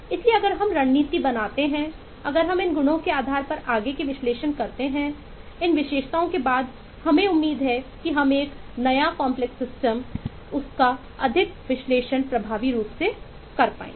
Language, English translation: Hindi, so if we build up strategies, if we build up further analysis based on these properties, based on these characteristics, then we hope to be able to eh analyze a new complex system lot more effectively